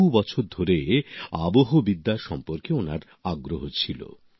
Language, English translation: Bengali, For years he had interest in meteorology